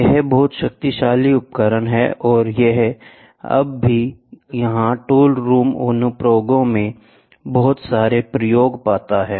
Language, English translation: Hindi, Very powerful tool and it is even now it finds lot of application in the tool room applications